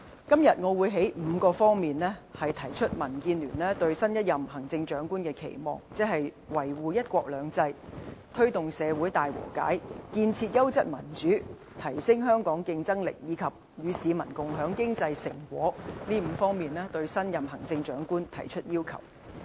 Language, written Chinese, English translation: Cantonese, 今天，我會從5方面提出民建聯對新一任行政長官的期望，即"維護一國兩制"、"推動社會大和解"、"建設優質民主"、"提升香港競爭力"，以及"與市民共享經濟成果"，對新一任行政長官提出要求。, Today I will introduce DABs expectations for the next Chief Executive in five aspects namely safeguard one country two systems promote reconciliation in society establish quality democracy enhance Hong Kongs competitiveness and share the fruit of economic development with the people . We will put forward our demands accordingly